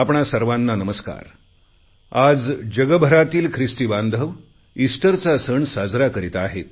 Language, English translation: Marathi, Today, the world over, Christians are observing Easter